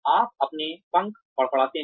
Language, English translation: Hindi, You sort of, flap your wings